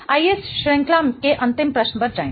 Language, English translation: Hindi, Let's go to the last question in this series